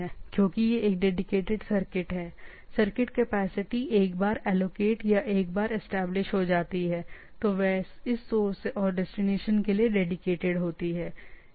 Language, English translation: Hindi, So it is not, as it is a dedicated circuit the circuit capacity once allocated or once established, are dedicated for this source and destination